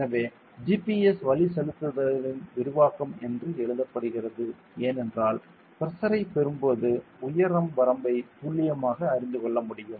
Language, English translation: Tamil, So, why it is written as enhancement of GPS navigation is that; when we get the pressure value we will be exactly able to know the height range and all ok